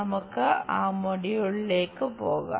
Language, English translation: Malayalam, Let us move on to that module